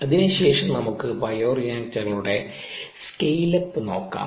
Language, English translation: Malayalam, having said that, let us look at scale up of bioreactors